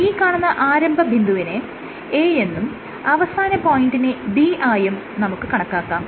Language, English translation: Malayalam, Let us say this is the starting point A and this is the ending point B